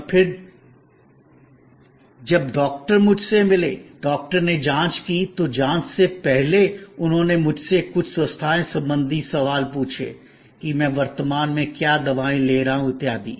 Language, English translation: Hindi, And then, when the doctor met me, doctor examine, before examination he asked me certain health related questions, what medicines I am currently taking and so on